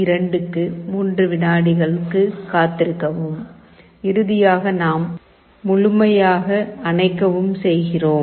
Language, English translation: Tamil, 2 wait for 3 seconds, and finally we turn OFF completely